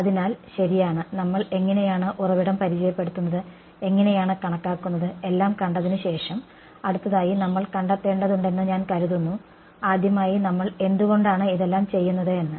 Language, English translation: Malayalam, Right so, having seen how we calculate how we introduce the source the next I think that we have to find out is why are we doing all of these in the first place ok